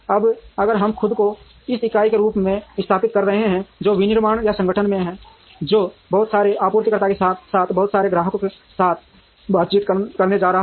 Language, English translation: Hindi, Now, if we are positioning ourselves as this entity, which is manufacturing or the organization, which is going to interact with a lot of suppliers as well as with a lot of customers